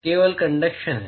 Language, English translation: Hindi, Is only conduction